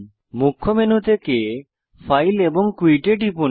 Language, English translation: Bengali, From the Main menu, click File and Quit